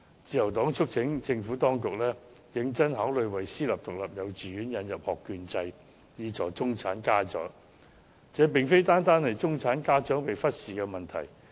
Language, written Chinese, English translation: Cantonese, 自由黨促請政府當局認真考慮為私營獨立幼稚園引入學券制，以助中產家長，這個其實不止是中產家長被忽視的問題。, The Liberal Party urges the Administration to seriously consider introducing a voucher system for privately - run kindergartens so as to help the middle - class parents . In fact this relates not only to the problem that the middle - class parents are being neglected